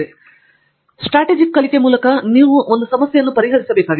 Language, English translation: Kannada, And then, Strategic learning you need to basically solve a problem